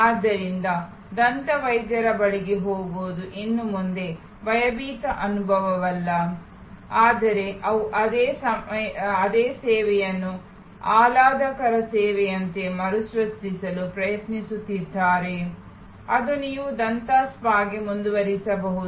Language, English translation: Kannada, So, going to the dentist is no longer a fearful experience, but they are trying to recreate that same service as a pleasurable service that you can go forward to the dental spa